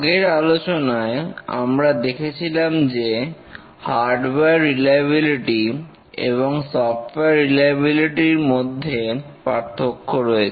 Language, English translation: Bengali, In the last lecture we are discussing the difference between hardware reliability and software reliability